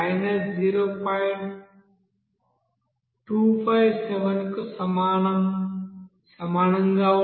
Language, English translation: Telugu, That will be is equal to